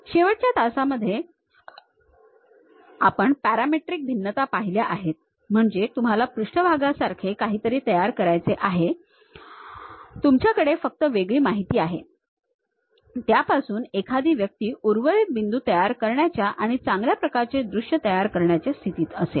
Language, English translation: Marathi, In the last classes, we have seen parametric variations means you want to construct something like surfaces, you have only discrete information, from there one will be in aposition to really construct remaining points and visualize in a better way